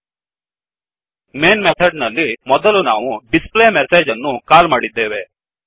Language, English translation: Kannada, In the Main method, we have first called the displayMessage